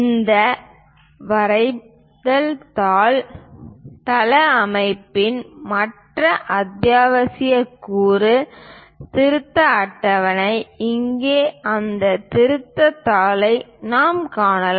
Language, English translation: Tamil, The other essential component of this drawing sheet layout is revision table, here we can find that revision sheet